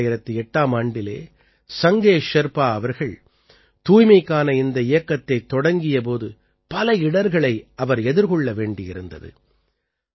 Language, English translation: Tamil, When Sange Sherpa ji started this campaign of cleanliness in the year 2008, he had to face many difficulties